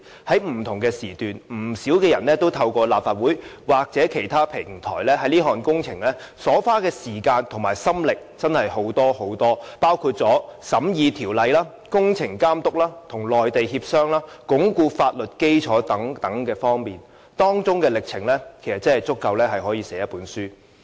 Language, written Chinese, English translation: Cantonese, 在不同時段，不少人透過立法會或其他平台，在這項工程花了真的很多時間和心力，包括審議法例、監督工程、與內地協商、鞏固法律基礎等方面，歷程足以寫成一本書。, At various stages many people had through the Legislative Council or other platforms devoted a lot of time and efforts on this project which included examining the legislation monitoring the works negotiating with the Mainland authorities and consolidating the legal basis . All their experiences can be compiled into a book